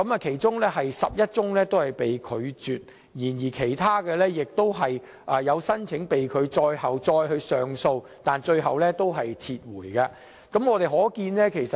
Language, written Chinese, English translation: Cantonese, 其中11宗被拒絕，而其他的被拒申請則在他上訴後遭駁回，他最終自行撤銷申請。, Among them 11 applications were rejected whereas other rejected applications were withdrawn on his own accord after his appeals were rejected